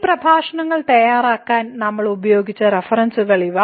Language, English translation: Malayalam, So, these are the references which we have used to prepare these lectures